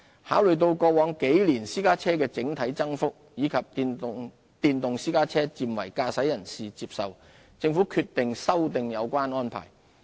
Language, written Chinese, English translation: Cantonese, 考慮到過往幾年私家車的整體增幅，以及電動私家車漸為駕駛人士接受，政府決定修訂有關安排。, In consideration of the overall growth of the private car fleet in recent years and the increasing acceptance of electric private cars by drivers the Government has decided to revise the arrangement